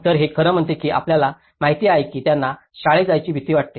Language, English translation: Marathi, So, this actually says that you know they are afraid to go to school